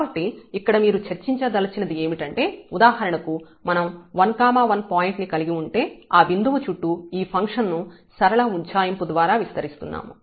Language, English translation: Telugu, So, what you want to discuss here that if we have this 1 1 point for example, and we are expanding this function around this point by a linear approximation